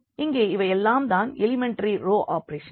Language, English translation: Tamil, So, what do you mean by elementary row operations